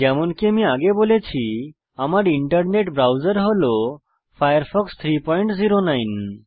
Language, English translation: Bengali, As I said before, my internet browser is Firefox 3.09